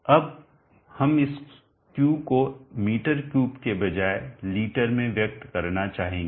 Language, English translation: Hindi, Q is m3 now we would like to express this Q in liters rather than m3